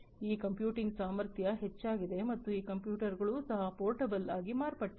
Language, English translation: Kannada, So, this computing capacity has increased and these computers have also became become portable